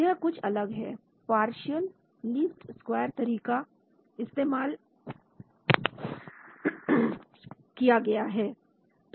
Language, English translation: Hindi, So this has been different partial least squares methods have been used